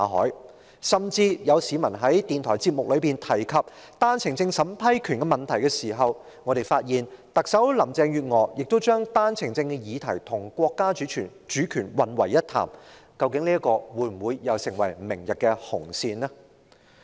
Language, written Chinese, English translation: Cantonese, 更有甚者，當有市民在電台節目中提及單程證審批權的問題時，我們聽到特首林鄭月娥將單程證的議題與國家主權混為一談，究竟這事會否成為明天的"紅線"呢？, Worse still when a member of the public mentioned the power of vetting and approving applications for One - way Permit in a radio programme we heard Chief Executive Carry LAM confuse the subject of One - way Permit with national sovereignty . Will this issue become a red line tomorrow?